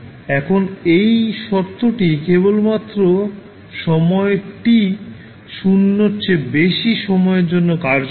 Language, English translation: Bengali, Now, this condition is valid only for time t greater than 0